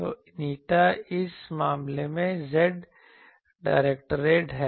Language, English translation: Hindi, So, n in this case is z directed